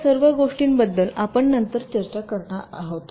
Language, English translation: Marathi, ok, so all this things we shall be discussing later